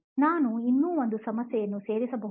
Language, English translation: Kannada, Can I add one more Problem